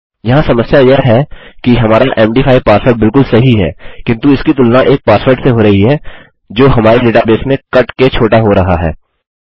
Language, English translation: Hindi, The problem here is that our md5 password is absolutely correct but it is being compared to a password which is cut short in our database